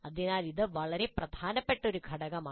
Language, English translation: Malayalam, So this is a very important step